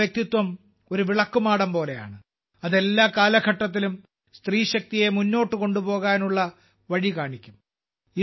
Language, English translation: Malayalam, Their personality is like a lighthouse, which will continue to show the way to further woman power in every era